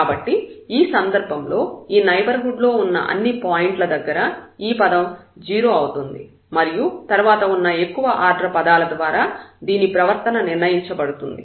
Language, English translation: Telugu, So, in that case at all those points in the neighborhood, this term will become 0 and the behavior will be determined from the next higher order terms